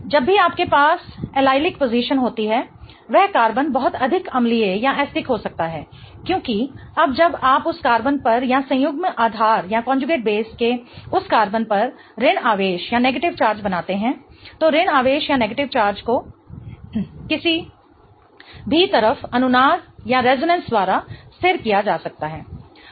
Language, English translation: Hindi, Whenever you have an allelic position that carbon can be much more acidic because now when you create a negative charge on that carbon or a conjugate base on that carbon that negative charge can be stabilized by resonance on either side